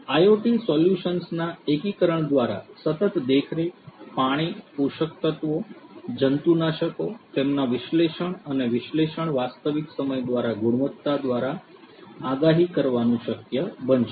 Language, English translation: Gujarati, It is going to be possible to predict the quality by continuous monitoring, water, nutrients, pesticides, their analysis and analysis in real time is going to happen through the integration of IoT solutions